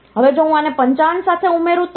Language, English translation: Gujarati, Now, if I add this with 55